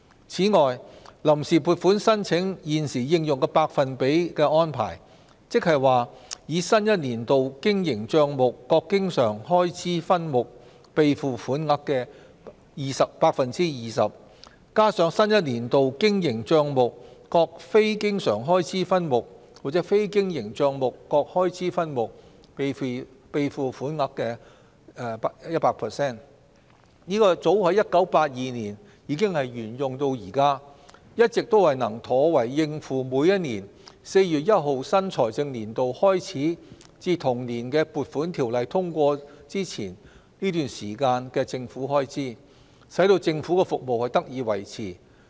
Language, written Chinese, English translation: Cantonese, 此外，臨時撥款申請現時應用的百分比安排，即以新一年度經營帳目各經常開支分目備付款額的 20%， 加上新一年度經營帳目各非經常開支分目或非經營帳目各開支分目備付款額的 100%， 早於1982年已沿用至今，一直都能妥為應付每年4月1日新財政年度開始至同年的《撥款條例草案》通過前這段時間的政府開支，使政府的服務得以維持。, Moreover the existing percentage of the application for provisional appropriations that is an amount equivalent to 20 % of the operating account recurrent subhead of the expenditure in addition to an amount equivalent to 100 % of the operating account non - recurrent subhead of expenditure or a capital account subhead of expenditure is part of a long - standing practice adopted from 1982 till now . The practice has been able to deal with government expenditures incurred during a period between the commencement of the new fiscal year commencing on 1 April each year and the passage of the Appropriation Bill which enables the Government to provide public services in a sustainable manner